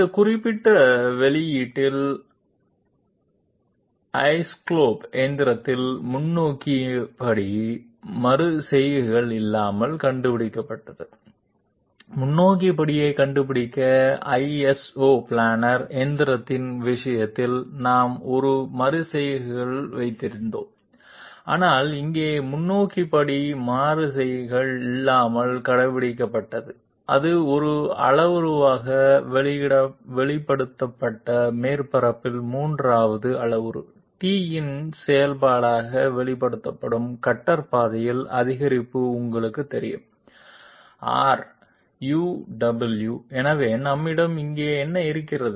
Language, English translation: Tamil, In isoscallop machining in this particular publication, the forward step was found out without iterations, we had iterations in case of iso planar machining, find out the forward step, but here the forward step was found out without iterations and it was expressed as a parametric you know increment along the cutter path which is expressed as a function of a third parameter t on the surface R U W, so what do we have here